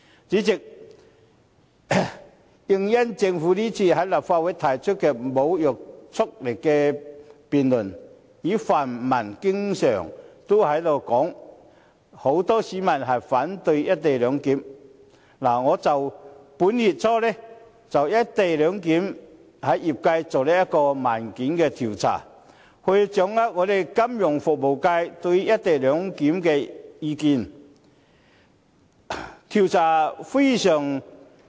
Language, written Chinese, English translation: Cantonese, 主席，因應政府今次在立法會提出無約束力的議案辯論，以及泛民經常說很多市民反對"一地兩檢"，我於本月初就"一地兩檢"向業界進行問卷調查，以掌握金融服務界對"一地兩檢"的意見。, President in view of this government motion with no legislative effect and the pan - democratic camps frequent claim many people are against co - location clearance I conducted a questionnaire survey early this month to gauge the views of the Financial Services Functional Constituency on the issue . The findings of the survey are very positive and encouraging